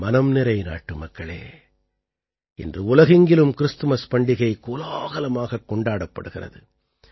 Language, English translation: Tamil, My dear countrymen, today the festival of Christmas is also being celebrated with great fervour all over the world